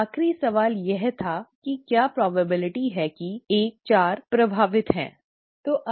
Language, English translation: Hindi, The last question was that what is the probability that 14 is affected, okay